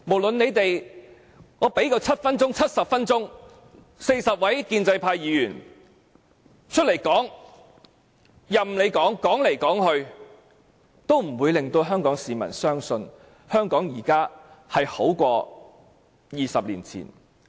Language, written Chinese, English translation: Cantonese, 即使40位建制派有7分鐘，甚至70分鐘發言時間，但無論他們怎麼說，也不會令香港市民相信，現時的香港比20年前更好。, Even if 40 pro - establishment Members have seven minutes or even 70 minutes to speak whatever they say will not convince Hong Kong people that Hong Kong today is better than it was 20 years ago